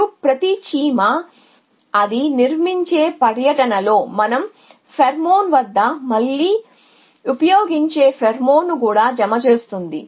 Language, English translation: Telugu, And each ant also deposits pheromone we just use at the pheromone again on the tour it constructs